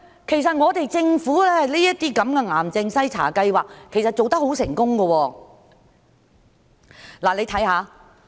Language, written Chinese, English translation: Cantonese, 其實，政府這類癌症篩查計劃做得很成功。, In fact the Governments cancer screening programs have been very successful